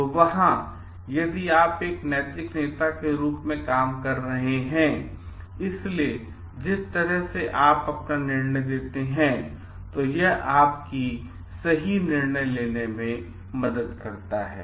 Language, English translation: Hindi, So, there the way that you make your decision, so, if you are acting like a moral leader, it helps you to make correct decision